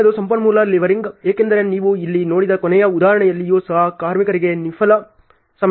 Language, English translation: Kannada, The next is resource leveling because whenever even in the last example you have seen here there are so much of idle time for workers